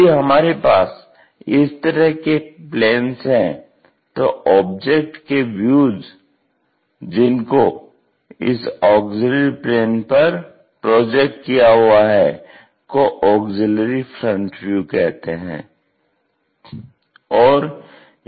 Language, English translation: Hindi, If we have such kind of planes, the views of the object projected on the auxiliary plane is called auxiliary front view